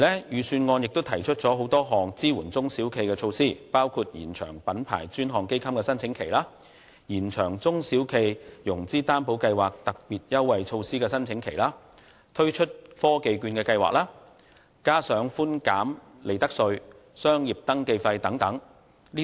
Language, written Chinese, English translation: Cantonese, 預算案亦提出很多項支援中小企的措施，包括延長品牌專項基金的申請期；延長中小企融資擔保計劃的特別優惠措施申請期；推出科技券計劃，以及寬減利得稅和商業登記費等。, The Government also put forth many support measures for SMEs including extending the application period for the Dedicated Fund on Branding; extending the application period for the special concessionary measures under the SME Financing Guarantee Scheme; launching the Technology Voucher Programme together with the proposed reduction of profits tax and business registration fee